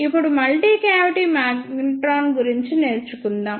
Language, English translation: Telugu, Now, let us move onto the working of multi cavity magnetron